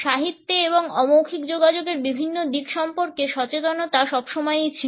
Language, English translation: Bengali, In literature and awareness of different aspects of nonverbal communication has always been there